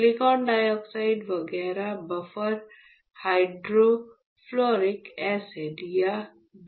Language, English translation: Hindi, Silicon dioxide etchant is buffer hydrofluoric acid or BHF